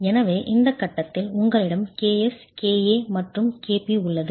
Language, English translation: Tamil, So, at this stage you have KS, KA and KP